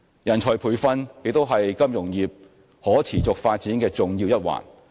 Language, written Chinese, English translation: Cantonese, 人才培訓亦是金融業可持續發展的重要一環。, Personnel training is also one of the important factors affecting the sustainable development of the financial industry